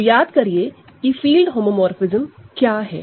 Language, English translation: Hindi, So, this is the identity homomorphism